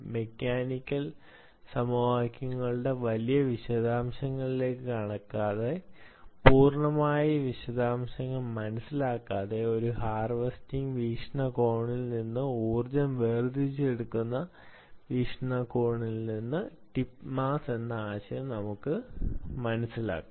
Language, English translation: Malayalam, without getting into great detail of you know the mechanical equations and understanding the it complete detail, because of full study by itself from a harvesting perspective, from ah, from extracting energy perspective, let us understand this problem of tip mass